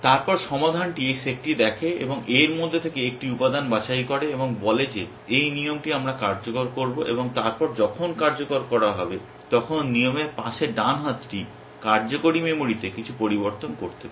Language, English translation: Bengali, Then resolve looks at this set and picks one element out of that and says this is the rule that we will execute and then when execution happens, the right hand of the side of the rule may make some changes in the working memory